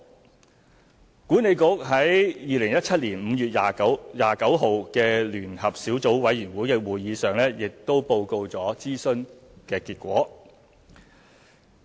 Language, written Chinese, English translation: Cantonese, 西九管理局在2017年5月29日的聯合小組委員會會議上報告了諮詢結果。, WKCDA reported the outcome of the consultation exercise at the meeting of the Joint Subcommittee held on 29 May 2017